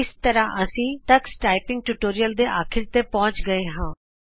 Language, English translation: Punjabi, This brings us to the end of this tutorial on Tux Typing